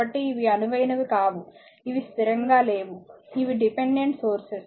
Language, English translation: Telugu, So, these are not ideal these are not constant these are dependent sources